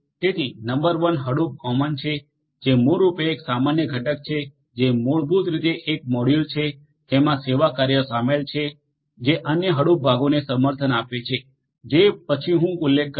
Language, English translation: Gujarati, So, number one is Hadoop common which is basically a common component which is basically a module that contains the utilities that would support the other Hadoop components like the once that I am going to mention next